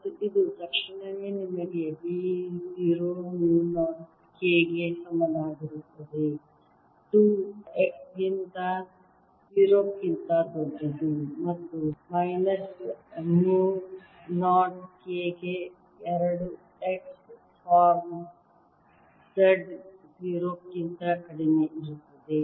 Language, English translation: Kannada, a takes mu zero and this immediately gives you b equals mu, zero, k over two, x for z greater than zero and is equal to minus mu, not k by two x form z less than zero